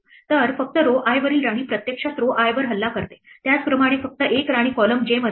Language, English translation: Marathi, So, only the queen on row i actually attacks row i similarly only one queen is in column j